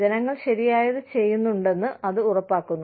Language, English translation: Malayalam, That are ensuring that, the people are doing, what is right